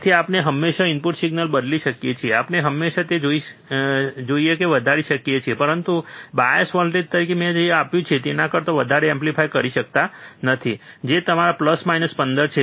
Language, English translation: Gujarati, So, we can always change the input signal, we can always amplify whatever we want, but we cannot amplify more than what we I have given as the bias voltage, which is your plus minus 15